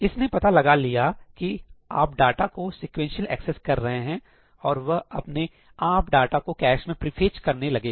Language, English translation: Hindi, It is able to figure out that you are accessing data sequentially and it automatically pre fetches the data into the cache